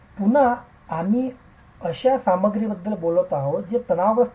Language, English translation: Marathi, Again we are talking of a material which is not strong in tension